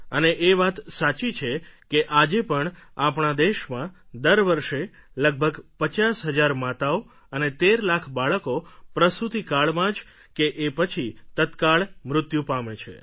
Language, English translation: Gujarati, And it is true that in our country about 50,000 mothers and almost 13 lakh children die during delivery or immediately after it every year